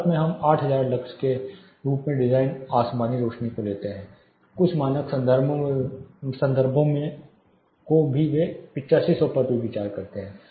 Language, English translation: Hindi, In India we take the design sky illuminance as 8000 lux some of the standard references they also consider 8500